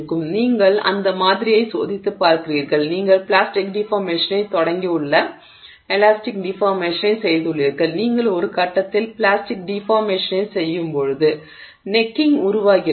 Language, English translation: Tamil, So, you are at that sample, you are testing that sample and you have done elastic deformation, you have started plastic deformation and as you are doing plastic deformation at some point the neck has formed